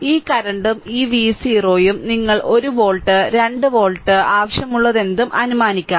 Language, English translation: Malayalam, This current and this V 0 you can assume whatever you want 1 volt 2 volt